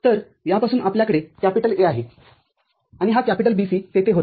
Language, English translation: Marathi, So, from this you have A and this BC was there